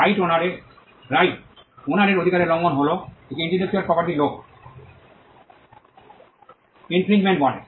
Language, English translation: Bengali, A violation of a right of right owner is what is called an intellectual property law as infringement